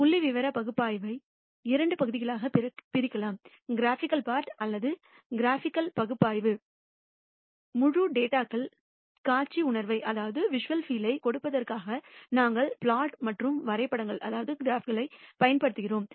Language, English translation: Tamil, We can divide the statistical analysis into two parts, the graphical part or graphical analysis where we use plots and graphs in order to have a visual feel of the entire data